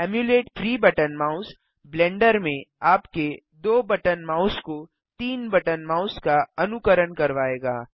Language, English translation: Hindi, Emulate 3 button mouse will make your 2 button mouse behave like a 3 button mouse in Blender